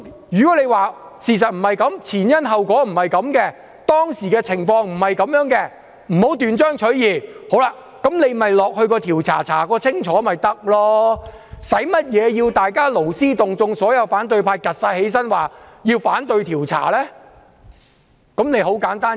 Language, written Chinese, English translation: Cantonese, 如果他們說事實不是這樣，前因後果不是這樣，當時的情況不是這樣，不要斷章取義，便應該交付調查委員會調查清楚，犯不着要所有反對派站起來，勞師動眾地說要反對調查。, If they say that the words should not be taken out of context because they do not represent the truth the causal chain and the situation at that time they should refer the matter to an investigation committee for thorough investigation . It is not worth the trouble to mobilize all the opposition Members to stand up and voice their objection to investigation